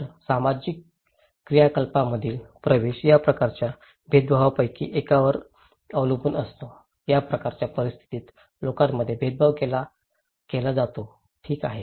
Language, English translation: Marathi, So, access to social activities depends on one or another of these kinds of discriminations, people are discriminated in this kind of situations okay